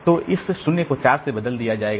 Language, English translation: Hindi, So, this 0 will be replaced by this 4